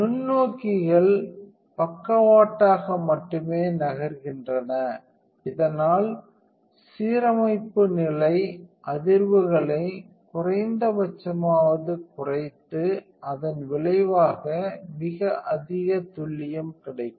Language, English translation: Tamil, The microscopes only move sideways, thus reducing the vibrations of the alignment stage to a minimum resulting in far greater accuracy